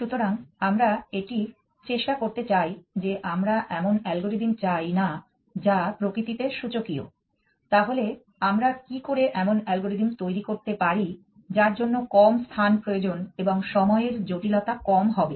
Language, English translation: Bengali, So, this is something that we want to try and that we do not want algorithm which are exponential in nature, so what can we do to devise algorithm which will require lesser space and lesser time complexity